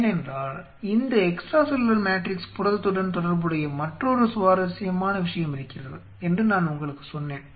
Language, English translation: Tamil, Because I told you there is another very interesting thing which is related to this extracellular matrix protein there is coming back to this picture